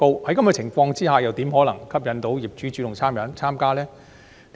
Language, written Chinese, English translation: Cantonese, 在這樣的情況之下，又怎可能吸引業主主動參加？, Under such circumstances how can owners be incentivized to participate actively?